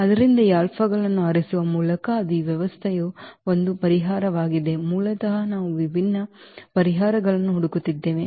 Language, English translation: Kannada, So, that will be one solution of this system by choosing this alphas basically we are looking for different different solutions